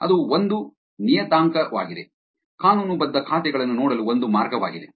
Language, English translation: Kannada, That is one parameter, one way to look at the legitimate accounts